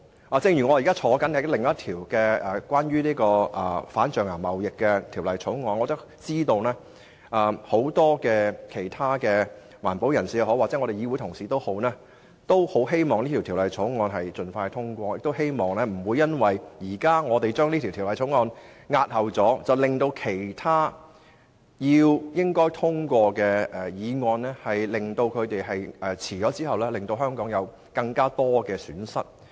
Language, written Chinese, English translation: Cantonese, 我現在也是另一個有關反對象牙貿易的法案委員會的成員，知道很多環保人士和議會同事均希望有關法案能盡快獲得通過，不想因為我們現時押後處理《條例草案》，以致其他理應獲通過的法案推遲通過，令香港蒙受更多損失。, Being a member of another Bills Committee on anti - ivory trade I learnt that many environmentalists and Honourable colleagues have expressed their wish for the relevant bill to be expeditiously passed . The last thing they wish to see is the postponement of the Bill as this would defer the passage of other bills that should be passed thereby causing more damages to Hong Kong